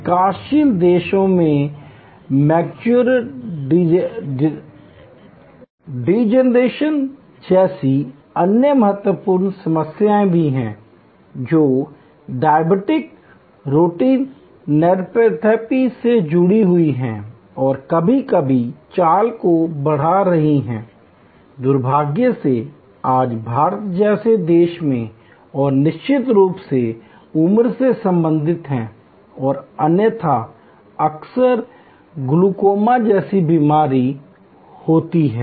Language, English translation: Hindi, In developing countries, there are other critical raising problems like macular degeneration, which is quite connected to diabetic retinopathy and ever increasing melody, unfortunately in a country like India today and of course, there are age related and otherwise often occurring problem like glaucoma and so on